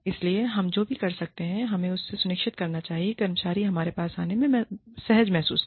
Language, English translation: Hindi, So, what we can do is, we must make sure, that the employee feels comfortable, coming to us